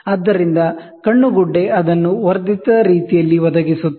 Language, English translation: Kannada, So, the eyepiece provides it in a magnified manner